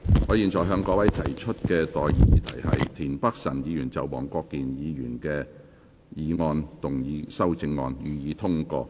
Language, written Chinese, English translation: Cantonese, 我現在向各位提出的待議議題是：田北辰議員就黃國健議員議案動議的修正案，予以通過。, I now propose the question to you and that is That the amendment moved by Mr Michael TIEN to Mr WONG Kwok - kins motion be passed